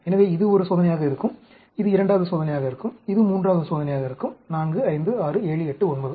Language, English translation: Tamil, So, this will be one experiment; this will be one second experiment; this will be third experiment; 4, 5, 6, 7, 8, 9